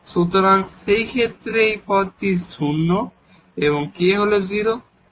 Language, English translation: Bengali, So, in that case this term is 0 and here the k is 0